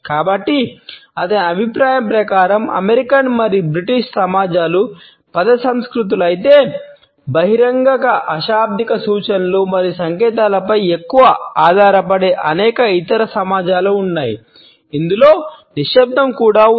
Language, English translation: Telugu, So, in his opinion the American and British societies are word cultures whereas, there are many other societies which rely more on open nonverbal cues and signs which include silence also